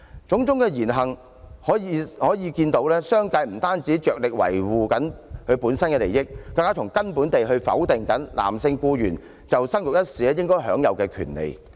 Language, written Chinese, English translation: Cantonese, 種種言行，可見商界不僅着力維護其自身利益，更是從根本地否定男性僱員在生育一事上享有權利。, All these words and deeds show that the business sector is not only striving to safeguard its own interests but also taking a further step in denying the procreation rights of male employees fundamentally